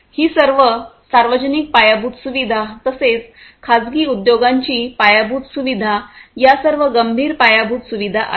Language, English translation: Marathi, All these public infrastructure that are there not only public, private you know industry infrastructure all this critical infrastructure that are there